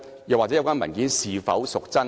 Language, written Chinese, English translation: Cantonese, 有關文件是否真確？, Are the relevant documents authentic?